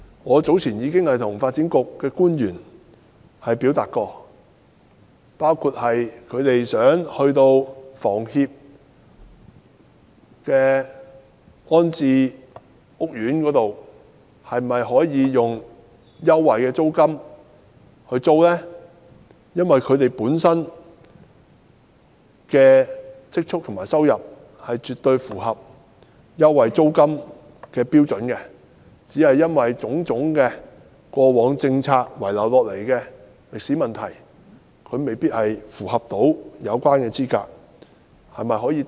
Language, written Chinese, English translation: Cantonese, 我早前曾向發展局的官員表達意見，包括居民租住香港房屋協會的安置屋苑時，政府能否提供租金優惠，因為居民的積蓄和收入絕對符合租金優惠的標準，只是過往種種政策遺留下來的問題使他們未能符合有關的資格。, I have recently expressed my views to officials from the Development Bureau including the suggestion for the Government to offer rental concessions to residents rehoused in housing estates under the Hong Kong Housing Society . These residents have definitely met the requirements on saving and income for rental concessions . However the problems left over by various policies in the past have rendered them ineligible for the concessions concerned